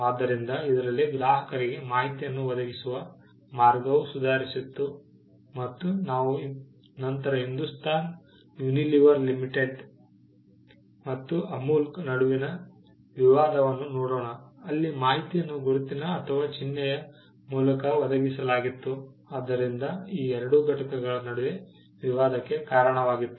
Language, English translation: Kannada, So, it improved the way, in which information was supplied to the customers and we will later on look at the dispute between Hindustan Unilever Limited and Amul where, the fact that information supplied through the mark led to dispute between these two entities